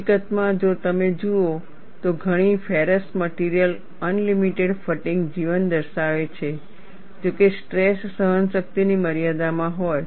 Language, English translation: Gujarati, In fact, if you look at many ferrous materials exhibit unlimited fatigue life, provided that the stresses are within the endurance limit